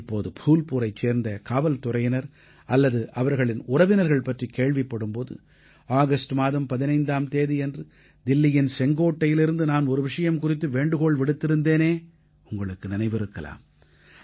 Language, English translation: Tamil, Whenever I hear about the police personnel of Phulpur or their families, you will also recollect, that I had urged from the ramparts of Red Fort on the 15th of August, requesting the countrymen to buy local produce preferably